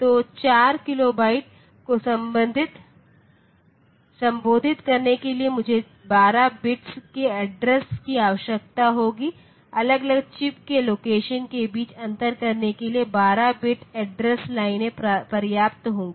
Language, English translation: Hindi, So, to address 4 kilobyte I will need 12 bits of address, 12 bit of address lines will be sufficient to differentiate between the locations of individual chips